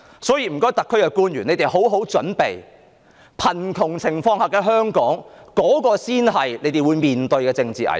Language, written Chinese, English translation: Cantonese, 所以，請香港特別行政區的官員好好準備，貧窮情況下的香港，才是他們將要面對的政治危機。, Hence public officers of the Hong Kong SAR they had better prepare well for it . Hong Kong in poverty is the political crisis they will have to face